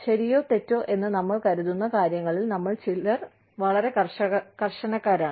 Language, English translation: Malayalam, Some of us, are very rigid, on what we think is, right or wrong